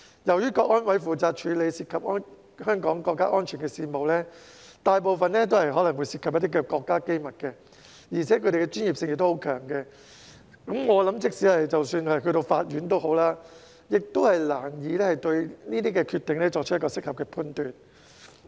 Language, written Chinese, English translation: Cantonese, 由於香港國安委負責處理涉及香港國家安全的事務，大部分可能涉及國家機密，而且其專業性強，我想即使是法院亦難以對其決定作出適合判斷。, Given that CSNS is responsible for handling affairs involving national security in Hong Kong of which a large part may involve state secrets coupled with its high degree of professionalism I think even the court may find it difficult to make an appropriate judgment on its decisions